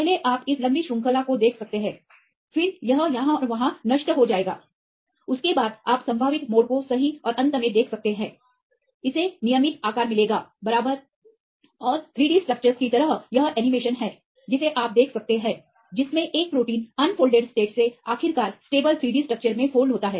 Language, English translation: Hindi, First you can see this elongated chain, then it will destorted here and there, after that you can see the probable bends right and finally, it will get the regular shape right and kind of 3 D structures right this is the animation you can see that how from the unfolded state of a protein finally, folds into the stable three dimensional structure